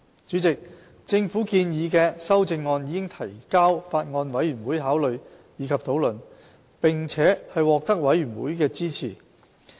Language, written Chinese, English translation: Cantonese, 主席，政府建議的修正案已提交法案委員會考慮及討論，並獲得法案委員會支持。, Chairman the amendments proposed by the Government have been submitted to the Bills Committee for consideration and discussion and received the support of the Bills Committee